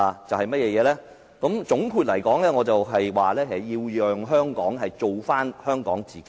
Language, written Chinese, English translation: Cantonese, 總括來說，我認為下屆特首要令香港做回香港自己。, In a nutshell I believed the next Chief Executive should first let Hong Kong become its own self again